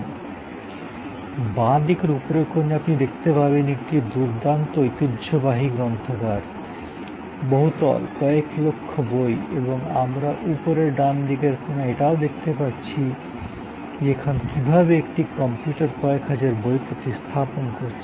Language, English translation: Bengali, So, on the left upper corner you see the view of a grand traditional library, multi storied, millions of books and we can also already see on the top right hand corner, how computers are now replacing thousands of books